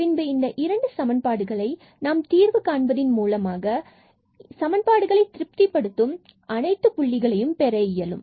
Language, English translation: Tamil, So, out of these 2 equations we need to get all the points which satisfy these 2 equations